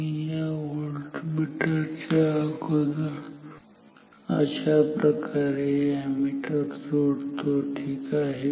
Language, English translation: Marathi, Let me put the ammeter before the voltmeter like this ok